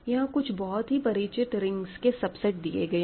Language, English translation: Hindi, So, I have given you subsets of well known rings